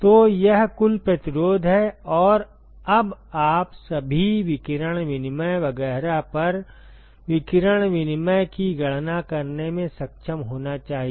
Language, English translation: Hindi, So, that is the total resistance, and now you should be able to calculate the radiation exchange over all radiation exchange etcetera